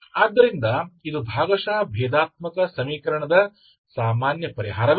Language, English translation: Kannada, This is a ordinary differential equation type, ok